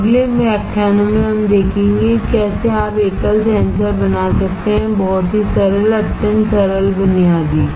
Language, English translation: Hindi, Now, in following lectures we will see how you can fabricate a single sensor, very simple, extremely simple basic